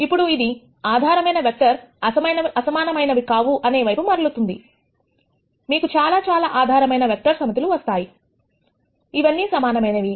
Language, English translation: Telugu, Now it turns out these basis vectors are not unique, you can find many many sets of a basis vectors, all of which would be equivalent